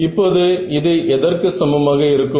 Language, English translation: Tamil, So, this is going to become